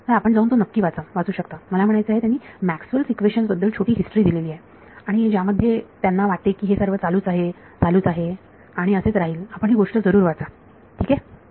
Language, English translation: Marathi, So, you can go and read this interview, he talks about I mean a little bit of history of Maxwell’s equations and where he thinks it is going in so on and so on, do read this thing alright